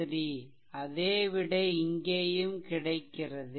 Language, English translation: Tamil, 3 answer has to be same, so 2